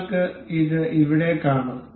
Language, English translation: Malayalam, You can see here